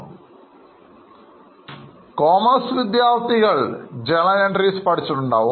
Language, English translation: Malayalam, Now, those of you who are commerce students, you would have already studied journal entries